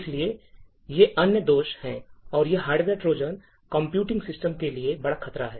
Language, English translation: Hindi, So, these are other flaws and these hardware Trojans are big threat to computing systems